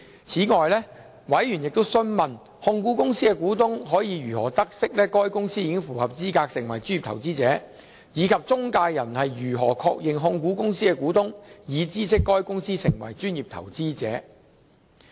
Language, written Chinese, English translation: Cantonese, 此外，委員亦詢問控股公司的股東可以如何得悉該公司符合資格成為專業投資者，以及中介人如何確認控股公司的股東已知悉該公司成為專業投資者。, Furthermore members have also asked how the shareholders of the holding company can know if the company has qualified as a professional investor and how intermediaries can confirm that these shareholders have been informed of the companys status as professional investor